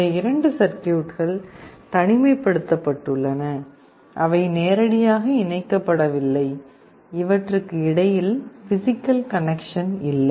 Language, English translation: Tamil, These two circuits are isolated, they are not directly connected; there is no physical connection between these two circuits